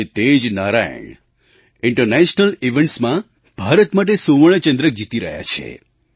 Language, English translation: Gujarati, The same Narayan is winning medals for India at International events